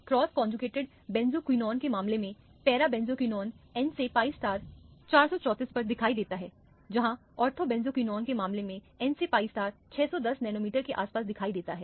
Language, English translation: Hindi, In the case of the cross conjugated benzoquinone, para benzoquinone the n to pi star appears at 434, where as in the case of the ortho benzoquinone the n to pi star appears around 610 nanometer